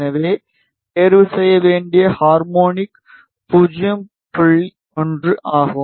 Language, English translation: Tamil, So, the harmonic that needs to be chosen is 0 1